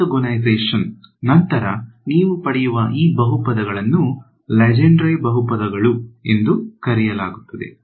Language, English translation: Kannada, These polynomials that you get after orthogonalization are called so called Legendre polynomials ok